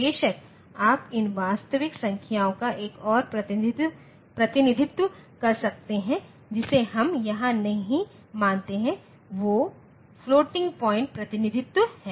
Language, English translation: Hindi, Of course, you can there is another representation of these real numbers which we do not consider here that is the floating point representation